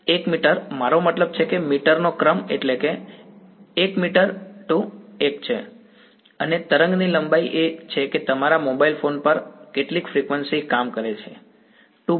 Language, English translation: Gujarati, 1 meter right no I mean order of meters right that is what I am to because that is, so that is 1 meter 2 into 1 and wave length is what frequency does it work at your mobile phone